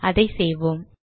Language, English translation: Tamil, We did this